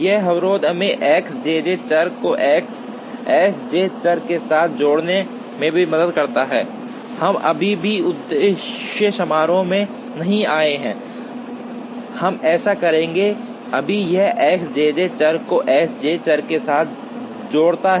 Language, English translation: Hindi, This constraint also helps us in linking X i j variables with S j variable, we still have not come to the objective function, we will do that, right now this links the X i j variable with the S j variable